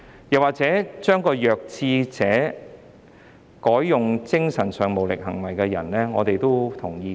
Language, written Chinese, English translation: Cantonese, 又或者將"弱智者"改為"精神上無行為能力的人"，我們也同意。, We also support the amendment to substitute defective with mentally incapacitated person